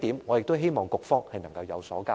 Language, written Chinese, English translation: Cantonese, 我希望局方能向本會交代。, I hope the Bureau can give this Council an explanation